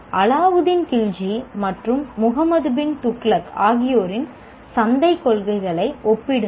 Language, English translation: Tamil, Compare the market policies of Allah Din Kilji and Mohammed bin Thugluck